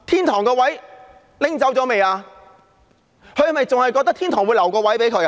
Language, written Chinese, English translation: Cantonese, 她是否還覺得天堂會留一個位置給她？, Does she still think that there is a place reserved for her in heaven?